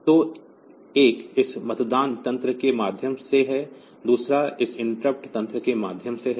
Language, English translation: Hindi, So, one is via this polling mechanism, another is via this interrupt mechanism